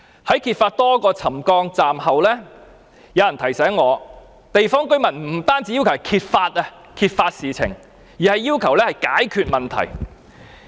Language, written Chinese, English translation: Cantonese, 在揭發多個車站範圍出現沉降後，有人提醒我，地方居民不單要求揭發事情，而是要求解決問題。, After these settlement cases at a number of stations were exposed I was reminded that the local residents demanded not only the disclosure of these incidents but also a solution to the problem